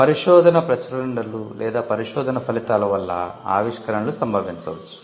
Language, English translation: Telugu, Inventions may result out of research publications, or outcome of research